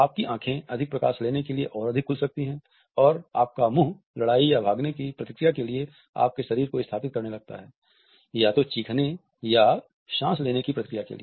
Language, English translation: Hindi, Your eyes go up to take in more light and see more and your mouth is ready to set up your body for the fight or flight response, either to scream or to breath